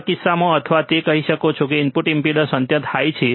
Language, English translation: Gujarati, or in case of or you can say it is it is input impedance is infinitely high